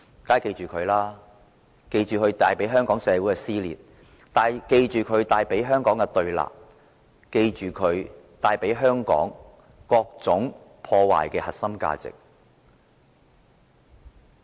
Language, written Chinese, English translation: Cantonese, 我們要記着他帶給香港社會的撕裂和對立，記着他破壞了香港各種核心價值。, We should remember that he has caused dissension and confrontation in Hong Kong society and he has undermined various core values of Hong Kong